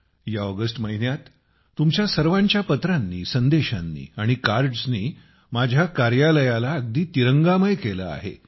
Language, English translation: Marathi, In this month of August, all your letters, messages and cards have soaked my office in the hues of the tricolor